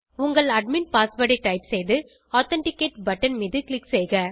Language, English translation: Tamil, Type in your admin password and click on Authenticate button